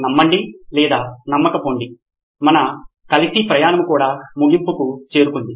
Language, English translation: Telugu, Believe it or not our journey together is also coming to an end